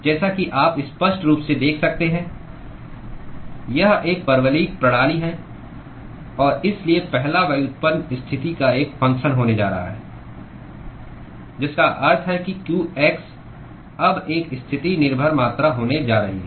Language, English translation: Hindi, As you can clearly see, it is a parabolic system and so, the first derivative is going to be a function of position which means that the qx is now going to be a positional dependent quantity